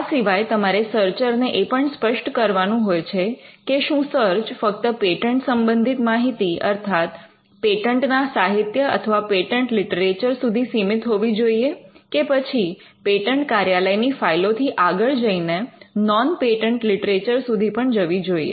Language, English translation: Gujarati, Now you would also say to the searcher whether the search should confine to only materials that are patents; that is, the patent literature, or whether it could also go beyond the files of the patent office, and which is what we call a non patent literature search